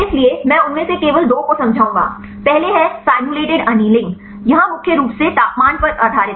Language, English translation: Hindi, So, I will explain only two of them, first one is simulated annealing here it is mainly based on temperature